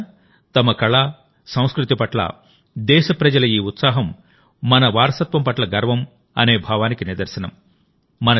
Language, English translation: Telugu, Friends, this enthusiasm of the countrymen towards their art and culture is a manifestation of the feeling of 'pride in our heritage'